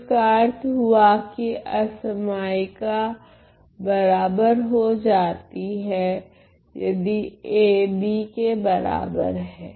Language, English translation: Hindi, So, which means that the inequality changes to an equality if A is equal to B